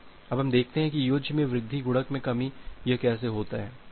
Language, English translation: Hindi, Now let us see that how this additive increase multiplicative decrease